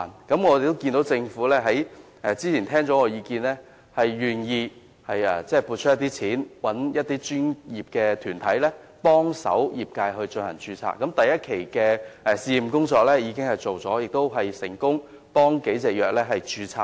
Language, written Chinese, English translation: Cantonese, 不過，我們看到政府聆聽了我的意見後，願意撥款聘請專業團體協助業界註冊，第一期的試驗工作已經完成，亦成功協助了數種藥物註冊。, We note that the Government has heeded my views and will grant funding for the commission of professional bodies to assist the industry in doing registration . The pilot work of the first phase has been completed where the registration of a number of pharmaceutical products has been successfully completed with the relevant assistance